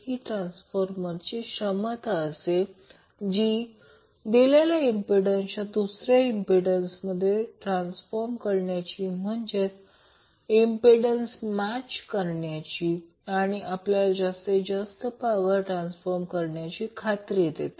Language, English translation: Marathi, So, now, this ability of the transformer to transform a given impedance into another impedance it will provide us means of impedance matching which will ensure the maximum power transfer